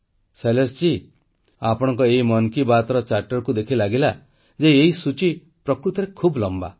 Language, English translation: Odia, Shailesh ji, you must have realized after going through this Mann Ki Baat Charter that the list is indeed long